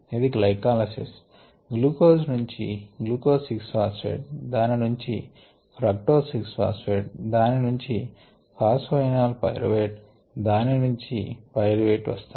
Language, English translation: Telugu, this is a part of glycolysis: glucose, glucose going to glucose, six, phosphate to fructose, six, phosphate to fructose, six, phosphate to phosphate, pyruvateto pyruvate